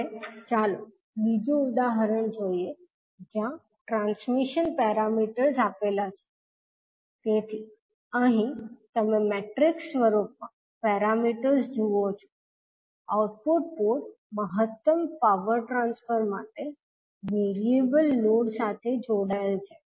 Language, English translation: Gujarati, Now, let us see another example where the transmission parameters are given, so here you see the transition parameters in the matrix form, the output port is connected to a variable load for maximum power transfer